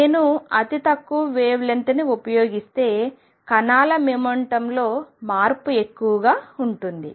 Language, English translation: Telugu, If I use shorter and shorter wavelength the change in the momentum of the particle is more